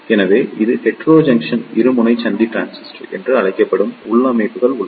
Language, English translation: Tamil, So, there are configuration which was suggested this is known as the Heterojunction Bipolar Junction Transistor